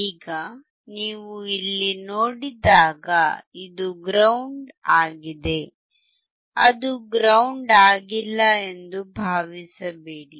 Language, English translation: Kannada, Now when you see here this is grounded, do not think that is not grounded